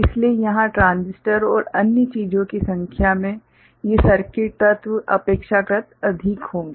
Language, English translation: Hindi, So, here the number of transistors and other things, these circuit elements will be relatively more